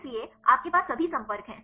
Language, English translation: Hindi, So, you have all the contacts